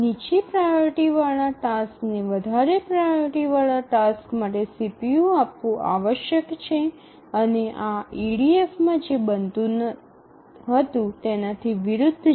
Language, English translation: Gujarati, So, the lower priority task must yield the CPU to the highest priority task, to the higher priority tasks, and this is contrary to what used to happen in EDF